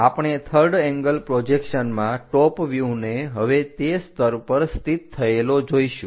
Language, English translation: Gujarati, So, we will see in third angle projection the top view now, placed at this level